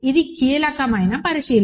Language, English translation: Telugu, This is the crucial observation